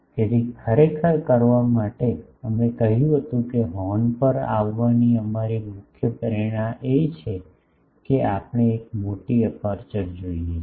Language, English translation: Gujarati, So, actually in order to have, we said that our main motivation for coming to horn is we want a large aperture